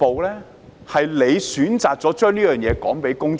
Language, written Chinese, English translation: Cantonese, 他們選擇將部分事實告訴公眾。, They have selectively told the public part of the truth